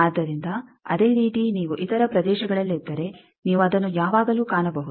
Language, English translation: Kannada, So, like that if you are in other regions you can always find that